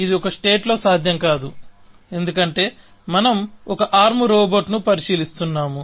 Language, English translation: Telugu, That, of course, not possible in a state in which, because we are considering one arm robot